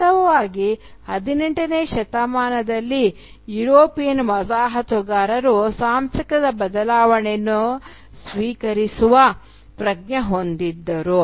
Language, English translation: Kannada, In fact during the 18th century, for instance, the European colonisers had a much more fluid sense of cultural identity